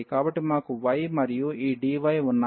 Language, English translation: Telugu, So, we have y and this dy